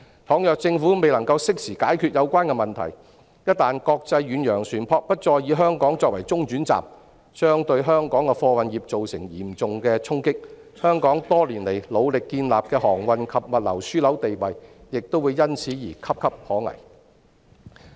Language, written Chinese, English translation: Cantonese, 假如政府未能適時解決有關問題，一旦國際遠洋船舶不再以香港作為中轉站，將對香港的貨運業造成嚴重的衝擊，香港多年來努力建立的航運及物流樞紐地位亦會因此而岌岌可危。, In the event of the Governments failure to solve the problems in time if international ocean - going vessels stop using Hong Kong as a transit point it will deal a severe blow to the freight industry of Hong Kong . And the status of Hong Kong as a maritime and logistics hub which have been built on years of endeavours will be in jeopardy